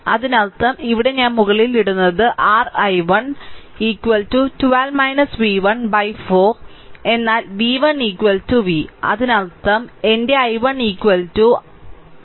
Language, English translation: Malayalam, That means here I am putting on top that is your i 1 is equal to it is 12 minus v 1 by 4 right, but v 1 is equal to v v 1 is equal to v ; that means, I am making it somewhere here; that means, my i 1 is equal to 12 minus v by 4 right